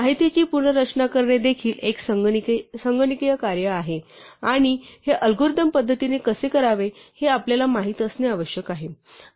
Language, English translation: Marathi, So, reorganizing information is also a computational task and we need to know how to do this algorithmically